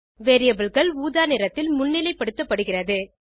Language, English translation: Tamil, Variables are highlighted in purple color